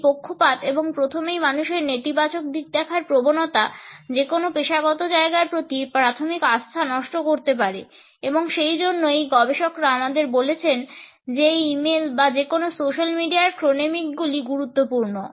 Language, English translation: Bengali, And these biases and the human tendency to look at the negative side, first, can erode the initial trust in any professional situation and therefore, these researchers tell us that chronemics in e mail or in any social media is important